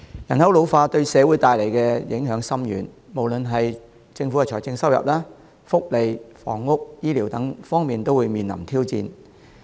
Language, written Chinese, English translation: Cantonese, 人口老化對社會帶來的影響深遠，無論是政府的財政收入、福利、房屋、醫療等方面，都會面臨挑戰。, Ageing population has a far - reaching impact on society posing challenges to the Government in various aspects like financial revenue welfare housing and healthcare